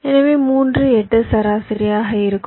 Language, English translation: Tamil, so your three, eight will be average